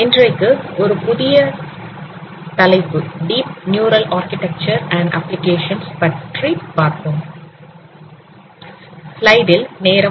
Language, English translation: Tamil, We will discuss a new topic today and that is on deep neural architecture and applications